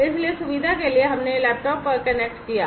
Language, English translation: Hindi, So, for convenience we have connected over laptop